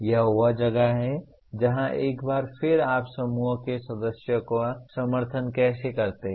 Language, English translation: Hindi, This is where once again how do you support the group members